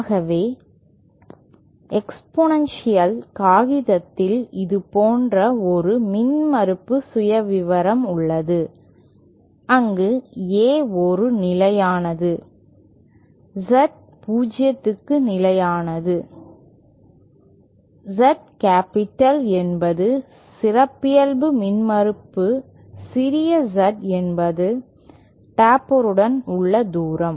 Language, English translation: Tamil, So exponential paper has an impedance profile like this where A is a constant, Z 0 is also constant, Z capital is the characteristic impedance small Z is the distance along the taper